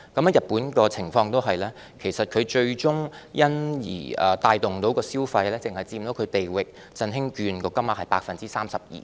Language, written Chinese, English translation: Cantonese, 而日本的情況同樣如此，最終能帶動的消費只佔"地域振興券"使用金額的 32%。, The situation in Japan is similar . At the end the consumption stimulated by the consumption coupons only accounted for 32 % of the value of the coupons